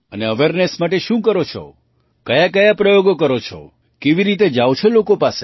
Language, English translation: Gujarati, And what do you do for awareness, what experiments do you use, how do you reach people